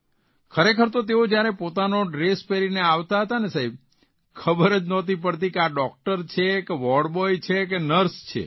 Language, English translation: Gujarati, Sir, actually, when they used to enter wearing their dress, one could not make out if it was a doctor or a ward boy or nurse